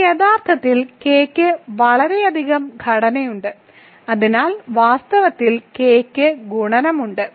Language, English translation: Malayalam, This is actually K has much more structure right, so in fact, K has multiplication so